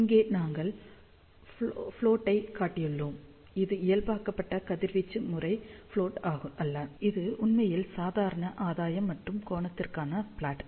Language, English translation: Tamil, So, here we have shown the plot, it is not a normalized radiation pattern plot, it is actually normal gain plot versus angle